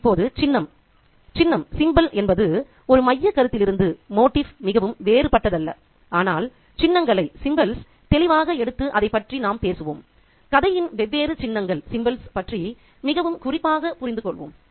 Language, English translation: Tamil, Now, symbol, a symbol is nothing very different from a motif, but let's take symbol distinctly and talk about it and understand the different symbols in the story very specifically